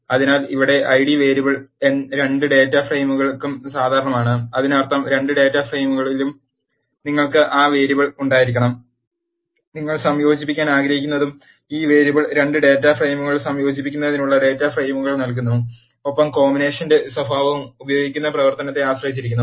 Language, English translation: Malayalam, So, here the I d variable is common to both data frames; that means, you have to have that variable in both data frames, which you want to combine and this variable provides the identifiers for combining the 2 data frames and the nature of combination depends upon the function that is being used